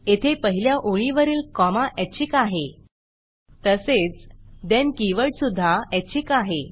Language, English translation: Marathi, Here the comma after the first line is optional, Also the then keyword is optional